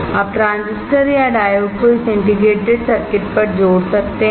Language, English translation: Hindi, Now diffuse transistors or diodes can be made on this integrated circuit